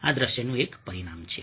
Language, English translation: Gujarati, this is one dimension of visuals